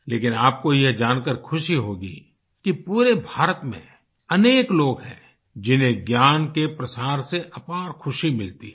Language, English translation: Hindi, But you will be happy to know that all over India there are several people who get immense happiness spreading knowledge